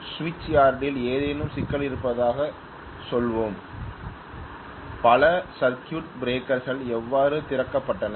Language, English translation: Tamil, Let us say there is some problem in the switch yard, so maybe many circuit breakers how opened